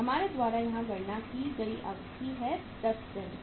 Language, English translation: Hindi, The duration we have calculated here is 10 days